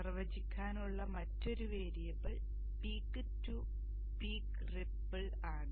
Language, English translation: Malayalam, Another variable to define is the peak to peak ripple